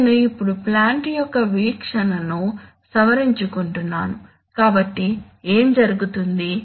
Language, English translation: Telugu, I am now modifying the view of the plant so what happens is